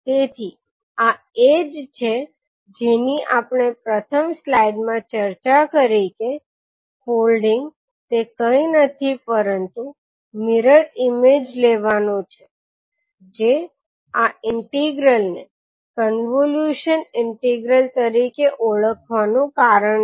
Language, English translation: Gujarati, So this is what we discuss in the first slide that folding that is nothing but taking the mirror image is the reason of calling this particular integral as convolution integral